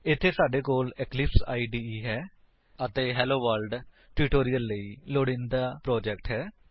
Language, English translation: Punjabi, Here we have the Eclipse IDE and the project used for the HelloWorld tutorial